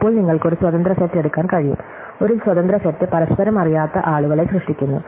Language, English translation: Malayalam, Then you can pick up an independent set, an independent set will produce people, who do not mutually do not know each other